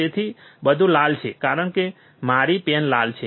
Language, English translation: Gujarati, So, everything is red, because my pen is red